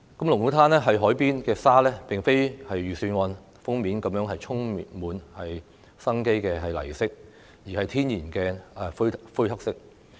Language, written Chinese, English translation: Cantonese, 龍鼓灘海邊的沙並不像預算案的封面般是充滿生機的泥色，而是天然的灰黑色。, The colour of the sand in Lung Kwu Tan beach is not vibrant earthy as the cover of the Budget but natural greyish black